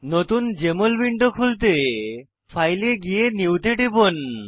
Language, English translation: Bengali, Open a new Jmol window by clicking on File and New